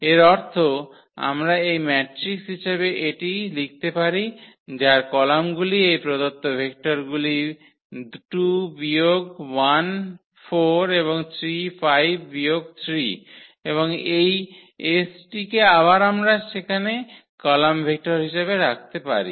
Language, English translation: Bengali, Meaning that we can write down this as this matrix whose columns are these given vectors are 2 minus 1 4 and 3 5 minus 3 and this s t we can put again as a column vector there